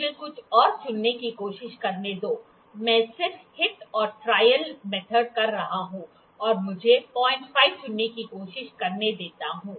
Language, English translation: Hindi, Let me try to pick some, I am just doing hit and trial method let me try to pick 0